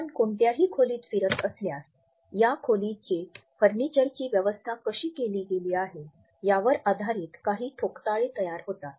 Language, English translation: Marathi, If you walk into any room, we get certain impressions on the basis of how furniture etcetera has been arranged in this room